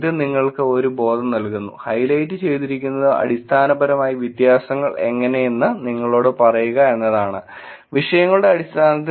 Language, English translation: Malayalam, This just gives you a sense and the highlighted is basically to tell you how the differences are, where in terms of the topics